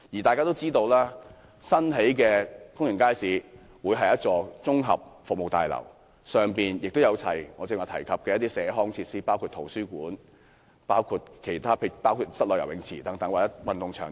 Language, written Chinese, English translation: Cantonese, 大家也知道，新建的公營街市會是一座綜合服務大樓，裏面會有我剛才提及的社康設施，包括圖書館、室內游泳池或運動場等。, As far as we know the new public market will be located inside a community services building with the community facilities I have just mentioned including library indoor swimming pool or sports ground etc